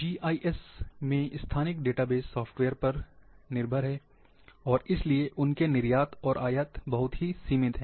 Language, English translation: Hindi, So, there is one limitation of GIS GIS spatial database, are software dependent, and hence their exports and imports are very limited